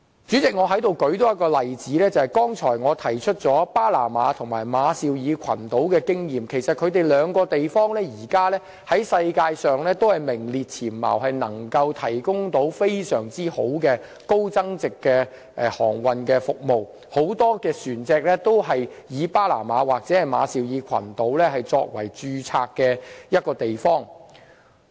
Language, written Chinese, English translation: Cantonese, 主席，我在此再舉一例，我剛才提及巴拿馬和馬紹爾群島的經驗，其實現時兩地在世界上都是名列前茅，能夠提供非常好的高增值航運服務，很多船隻均以巴拿馬或馬紹爾群島作為註冊地。, President I would give one more example here . Both Panama and Marshall Islands which I have mentioned just now are actually among the worlds top countries at present in terms of the provision of exceptional high value - added maritime services and many ships registered in these two places . The success of maritime services hinges on timing and quality